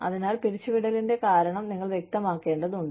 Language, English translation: Malayalam, So, you need to be clear, about the reason, for the layoff